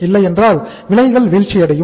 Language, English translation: Tamil, Otherwise prices will fall down